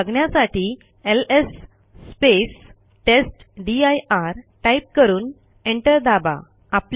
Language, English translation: Marathi, To see them type ls testdir and press enter